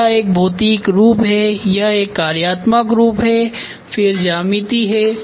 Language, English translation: Hindi, Then it is a physical form then functional then geometry